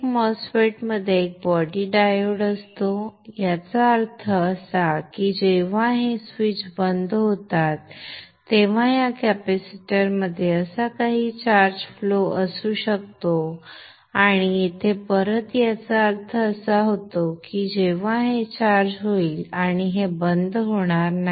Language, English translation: Marathi, Every MOSFET has a body diode which means that when this switches off this capacitor can have some charge flow like this and back here which means this will get charged and this will not turn off